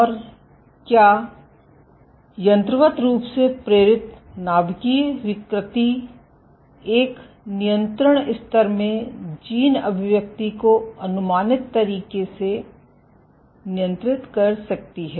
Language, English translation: Hindi, And can mechanically induced nuclear deformations control gene expression in a control level in a predictable manner